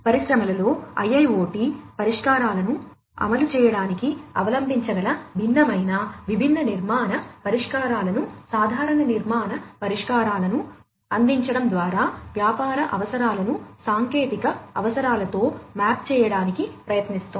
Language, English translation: Telugu, And it is trying to map the business requirements with the technical requirements by providing different, different architectural solutions, common architectural solutions, which could be adopted in order to deploy IIoT solutions in the industries